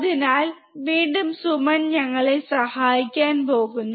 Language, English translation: Malayalam, So, again Suman is going to help us